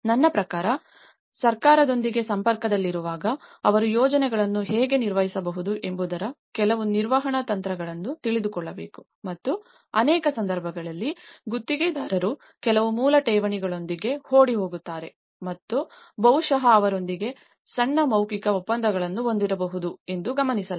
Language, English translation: Kannada, I mean in contact with the government also, they need to know some the managerial techniques of how they can manage the projects themselves and in many cases, it has been noted that contractors run away with some basic deposits and maybe having a small verbal agreements with the owners and they run away so, in that way the whole project leave left incomplete